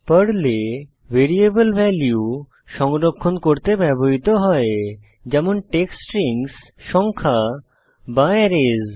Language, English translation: Bengali, Variables in Perl: Variables are used for storing values, like text strings, numbers or arrays